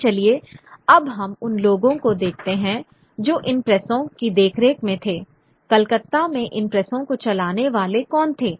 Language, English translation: Hindi, Who were the ones who were running these presses in Calcutta